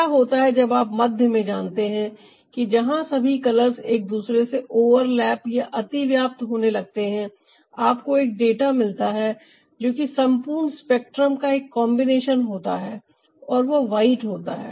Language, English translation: Hindi, what happens that you know in the middle, where all the colors are getting overlapped, you get a data that is a combination of the whole spectrum and that is white